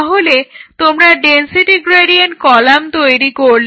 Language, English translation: Bengali, So, what is the density gradient column